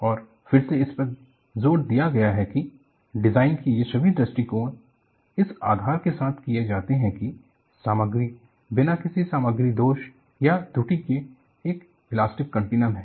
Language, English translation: Hindi, And again it is emphasized, all these approaches to the design are done with the premise that, the material is an elastic continuum without any material defects or flaws